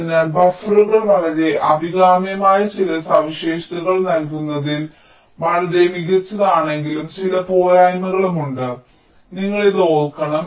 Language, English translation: Malayalam, ok, so buffers, although they are very good in providing some very desirable features, but there are some drawbacks as well